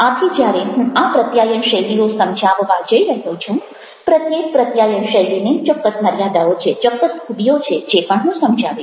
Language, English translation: Gujarati, so when i am going to explain these communication styles, each communication style has got certain ah, weaknesses, certain strengths that also i would like to mention